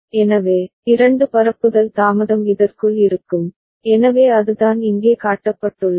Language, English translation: Tamil, So, two propagation delay will be there within this, so that is what is shown here